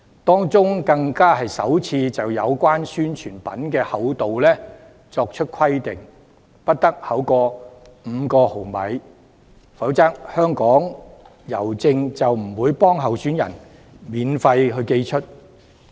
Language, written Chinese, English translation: Cantonese, 當中更首次就宣傳品的厚度作出規定，不得厚於5毫米，否則香港郵政便不會免費為候選人寄出宣傳品。, Among such clauses the thickness of the publicity materials is prescribed for the very first time that they must not exceed 5 mm in thickness . Otherwise the Hongkong Post will not deliver such publicity materials for the candidates for free